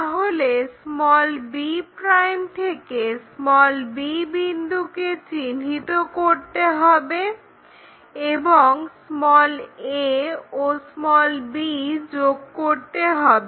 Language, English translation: Bengali, So, the step goes from b ' locate point b and join a b